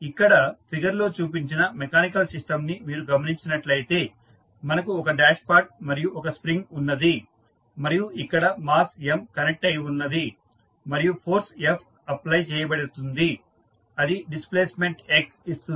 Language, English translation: Telugu, If you see the mechanical system shown in the figure, we have one dashpot and one spring at which you see the mass M connected and force F is applied which is giving the displacement X